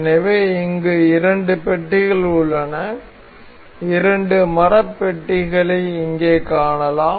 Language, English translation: Tamil, I have two blocks here, two wooden blocks we can see here